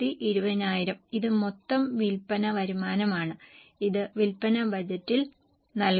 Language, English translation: Malayalam, Now this is the total sale revenue projected which will be given in the sales budget